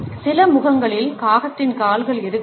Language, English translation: Tamil, In some faces the crow’s feet may not be present at all